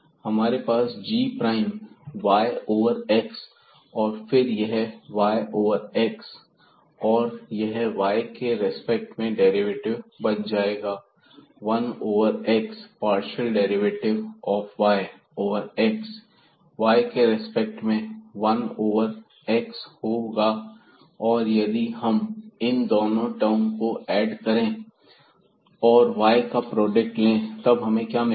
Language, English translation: Hindi, So, we have g prime y over x and then this y over x the derivative with respect to y will be just 1 over x the partial derivative of y over x with respect to y will be 1 over x